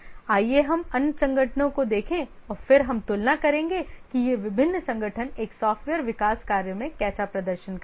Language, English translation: Hindi, Let's look at the other organizations and then we'll compare that how does these different organizations they perform in a software development work